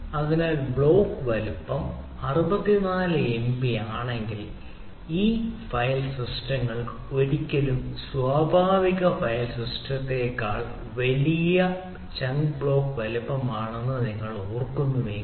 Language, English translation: Malayalam, so if the block size is sixty four mb, if you remember, these file systems are larger chunk block size than never natural file system